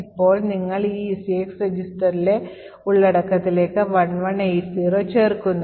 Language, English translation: Malayalam, Now you add 1180 to the contents of this ECX register